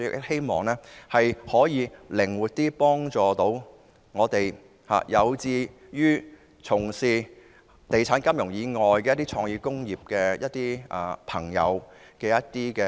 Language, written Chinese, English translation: Cantonese, 希望能夠幫助有志從事地產、金融以外的創意工業的朋友。, I hope the Fund will help those who are interested in engaging in the creative industries other than the real estate and finance industries